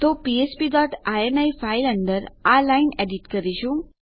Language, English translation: Gujarati, So we are editing this line inside our php dot ini file